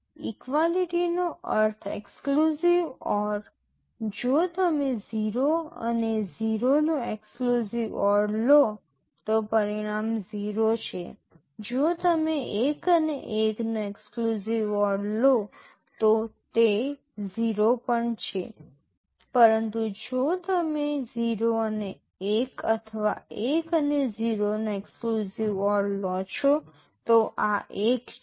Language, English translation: Gujarati, Equality means exclusive or; if you take the exclusive OR of 0 and 0 the result is 0, if you take exclusive OR of 1 and 1, that is also 0, but if you take exclusive OR of 0 and 1 or 1 and 0, this is 1